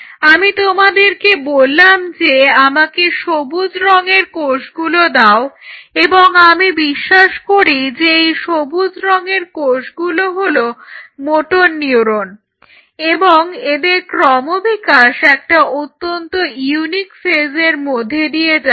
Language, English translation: Bengali, Now, I give you a situation I said you give me the green label or green cells and I believe these green cells are say motor neurons and this process and their development may be a very unique phase